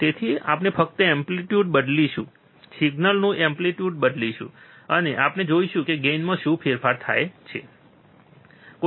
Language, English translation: Gujarati, So, we will just change the amplitude, change the amplitude of the signal, and we will see what is the change in the gain, alright